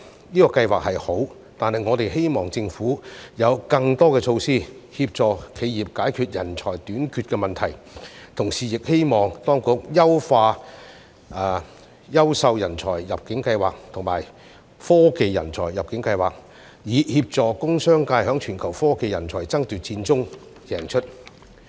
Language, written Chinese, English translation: Cantonese, 這個計劃是好，但我們希望政府有更多措施，協助企業解決人才短缺的問題，同時亦希望當局優化優秀人才入境計劃及科技人才入境計劃，以協助工商界在全球科技人才爭奪戰中贏出。, This Programme is a good initiative but we hope that the Government will implement additional measures to assist enterprises in solving the problem of talent shortage . At the same time we also hope that the authorities will improve the Quality Migrant Admission Scheme and the Technology Talent Admission Scheme to help the industrial and business sectors win the global competition for technology talents